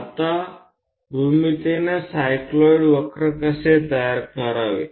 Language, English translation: Marathi, Now how to construct a cycloid curve geometrically